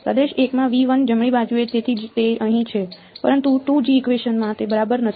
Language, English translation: Gujarati, In region 1 in V 1 right that is why it is there here, but in the 2nd equation it is not there ok